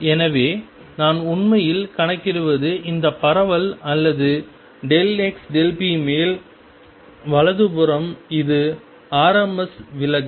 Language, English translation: Tamil, So, what I am really actually calculating is this spread or delta x delta p on the right hand side this is kind of rms deviation